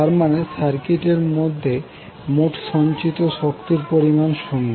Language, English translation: Bengali, That means the total energy stored in the circuit is equal to 0